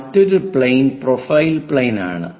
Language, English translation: Malayalam, So, such kind of planes are called profile planes